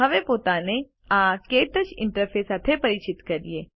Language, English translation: Gujarati, Now, lets familiarize ourselves with the KTouch interface